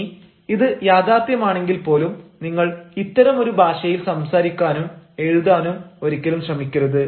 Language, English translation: Malayalam, now, even if this is right, you should never try to speak in such a language or write in such a language